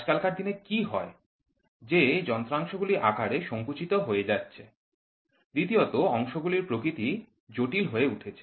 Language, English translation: Bengali, Today what has happened, the parts have started shrinking in size; second, the parts have become complex in nature